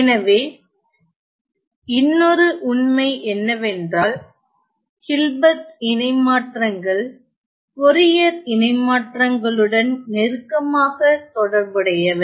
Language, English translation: Tamil, So, I am another fact is that Hilbert transforms are closely associated with the Fourier transforms